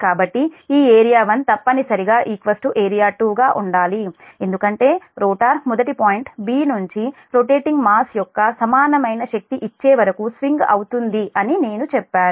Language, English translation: Telugu, so this area one must be equal to area two because i said the rotor must swing past point b until an equal amount of energy is given up by the rotating masses